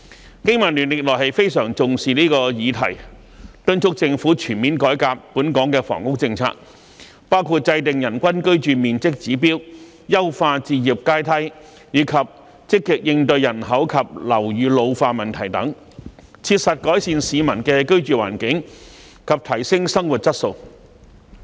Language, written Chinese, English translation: Cantonese, 香港經濟民生聯盟歷來非常重視這項議題，敦促政府全面改革本港的房屋政策，包括制訂人均居住面積指標、優化置業階梯、積極應對人口及樓宇老化等問題，切實改善市民的居住環境及提升生活質素。, The Business and Professionals Alliance for Hong Kong BPA has all along attached great importance to this issue . We have also urged the Government to comprehensively reform Hong Kongs housing policy including formulating a standard for the average living space per person enhancing the home ownership ladder and proactively coping with problems such as the ageing population and buildings so as to improve peoples living environment and enhance their quality of life in a practical manner